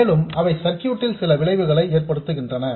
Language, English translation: Tamil, And they do have some effect on the circuit